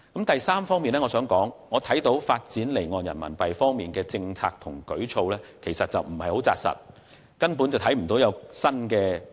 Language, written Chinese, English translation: Cantonese, 第三，我認為發展離岸人民幣方面的政策和舉措有欠扎實，亦未見有任何新的舉措。, Third I think the policy and initiatives to develop offshore RMB business are not down - to - earth nor is there any new initiative